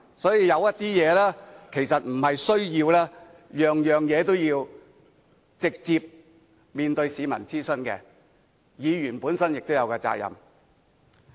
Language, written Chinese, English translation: Cantonese, 所以，有些事其實不需要直接面對市民作出諮詢，議員本身也有責任。, So Members themselves do have the duty to handle certain issues without having to hold public consultation directly